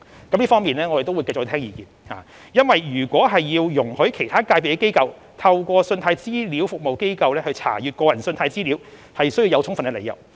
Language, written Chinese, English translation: Cantonese, 我們會就這方面繼續聽取相關意見，因為如要容許其他界別的機構透過信貸資料服務機構查閱個人信貸資料，須有充分理由。, We will further listen to views on this issue because there must be sufficient justifications before we can allow institutions of other sectors to access consumer credit data through CRAs